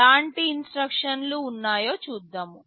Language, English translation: Telugu, Let us see what kind of instructions are there